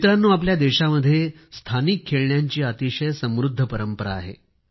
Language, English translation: Marathi, Friends, there has been a rich tradition of local toys in our country